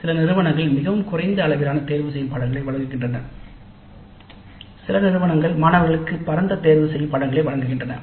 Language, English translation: Tamil, Some institutes offer an extremely limited set of electives while some do offer a wide choice for the students